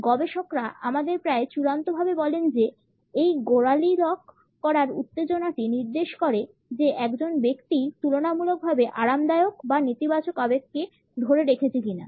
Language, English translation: Bengali, Researchers tell us almost in a conclusive fashion that it is the tension in the lock which suggest whether a person is relatively relaxed or is holding back a negative emotion